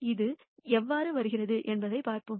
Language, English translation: Tamil, Let us see how this comes about